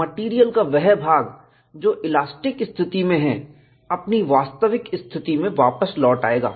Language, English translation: Hindi, The portion of the material, subjected to elastic condition would come back to its original position